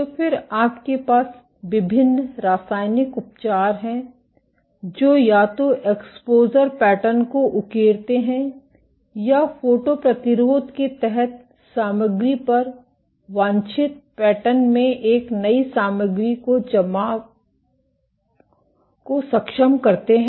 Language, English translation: Hindi, So, then you have various chemical treatments, which either engrave the exposure pattern into or enables deposition of a new material in the desired pattern upon the material under the photo resist ok